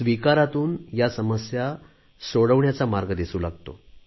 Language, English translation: Marathi, Acceptance brings about new avenues in finding solutions to problems